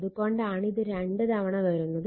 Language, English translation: Malayalam, So, that is why twice it has come